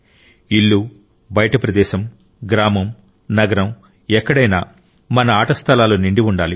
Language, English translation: Telugu, At home or elsewhere, in villages or cities, our playgrounds must be filled up